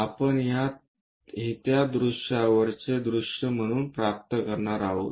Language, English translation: Marathi, This is what we are going to get on that view as top view